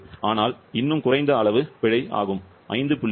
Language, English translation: Tamil, But still a less amount of error approximately, 5